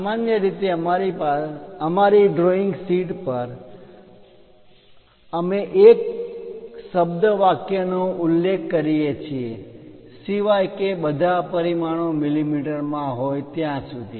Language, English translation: Gujarati, Usually on our drawing sheets we mention a word sentence, unless otherwise specified all dimensions are in mm